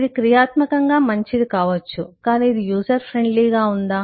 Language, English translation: Telugu, it could be functionally good, but is it user friendly